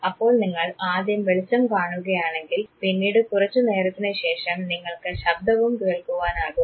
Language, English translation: Malayalam, So, you see the light first and then after sometime you hear the sound